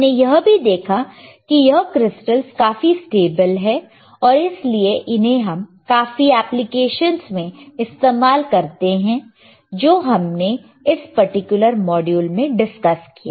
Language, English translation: Hindi, We also saw that these crystals wereare extremely stable and hence they are used in many applications, which were discussed in this particular module